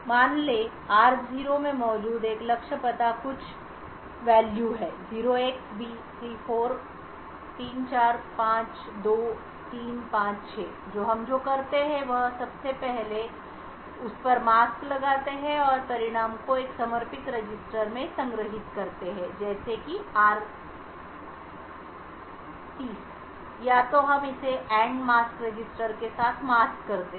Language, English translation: Hindi, Let us say a target address present in r nought is some value say 0xb3452356 so what we do is first we apply and mask to it and store the result in a dedicated register such as say r30 or so and we mask this with the AND mask register which looks something like this 36452356 and we end this with 0x0000FFFF, so this would give you something like 0x00002356